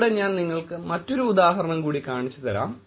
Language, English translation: Malayalam, Here is another example that I will show you